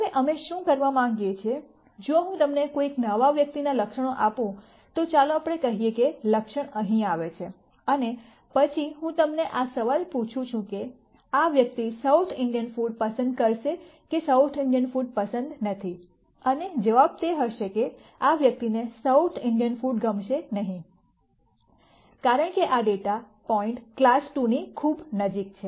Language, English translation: Gujarati, Now what we want to do is, if I give you the attributes of a new person, let us say that attribute falls here and then I ask you this question as to would this person like South Indian food or not like South Indian food and the answer would most likely be that this person will not like South Indian food, because this data point is very close to class 2